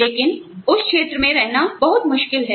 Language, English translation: Hindi, But, it is very difficult to live in that region